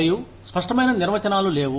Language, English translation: Telugu, And, there are no clear cut definitions